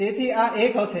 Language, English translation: Gujarati, So, this will be 1